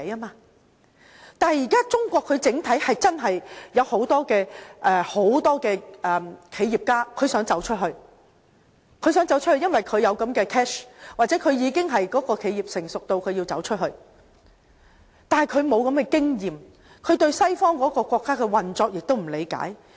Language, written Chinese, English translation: Cantonese, 但是，現時中國真的有很多企業家想走出去，因為他們有財富，又或他們的企業已經發展成熟，需要走出去，但他們沒有這樣的經驗，也不理解西方國家的運作。, However there are truly many entrepreneurs in China who wish to expand their business abroad because they have the capital or because their business is in the right stage to explore internationally . But they do not have the experience nor do they have the knowledge about practices in western countries